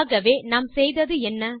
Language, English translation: Tamil, So what did we do